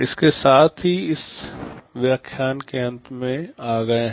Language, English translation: Hindi, With this we come to the end of this lecture